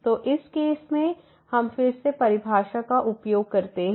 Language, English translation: Hindi, So, in this case again we use the definition